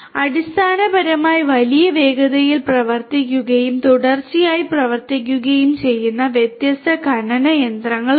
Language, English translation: Malayalam, There are different mining machinery that are there are basically operating in huge speeds and working continuously these machines are operating continuously and so on